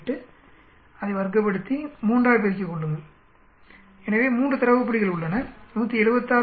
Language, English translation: Tamil, 8, square it, multiply by 3 because there are 3 data points, 176